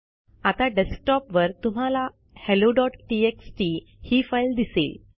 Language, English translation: Marathi, Now on the desktop you can see the file hello.txt